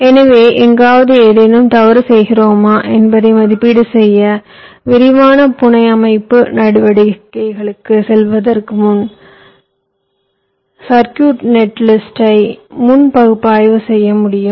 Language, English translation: Tamil, so we must be able to analyze the circuit netlist before hand, before going into the detailed fabrication steps, to access whether we are going grossly wrong something somewhere